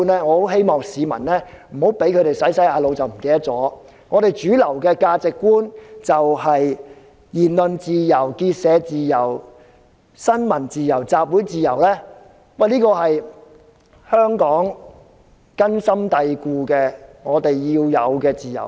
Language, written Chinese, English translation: Cantonese, 我希望市民不要在被洗腦後忘記了另一套主流價值觀，就是言論自由、結社自由、新聞自由和集會自由，這些都是根深蒂固的價值觀，也是我們必須擁有的自由。, I hope the public will not after being brainwashed forget the mainstream values ie . freedom of speech of association of the press and of assembly . These are deep - rooted values and freedoms that we must have